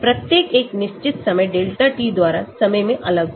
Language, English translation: Hindi, Each separated in time by a fixed time delta t